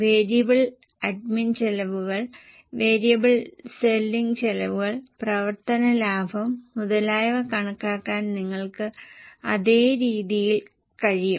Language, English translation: Malayalam, Same way you can record, calculate the variable admin expenses, variable selling expenses, operating profit and so on